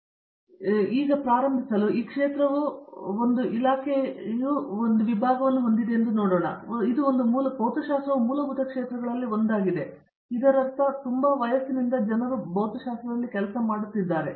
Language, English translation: Kannada, So, just to start off with, see physics has a department as a field has been around of course, I means it is a one of the fundamental fields and so, I mean for ages people have been doing work in physics